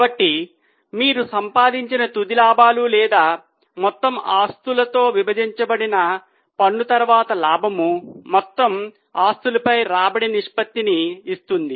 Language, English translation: Telugu, So, the final profits which you earn or profit after tax divided by total assets give you return ratio on total assets